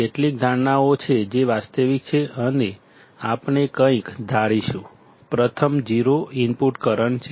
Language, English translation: Gujarati, There are few assumptions that areis realistic and we will assume something; the first one is 0 input current